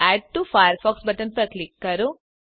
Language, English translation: Gujarati, Click on the Add to Firefox button